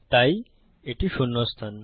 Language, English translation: Bengali, So this is position zero